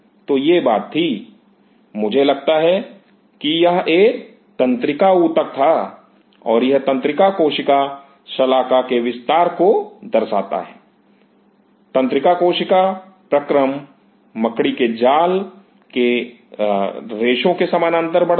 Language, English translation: Hindi, So, it was; I think it was a neural tissue and it shows the extension of the neural cell bar; neural cell process is moving along the threads of the spider net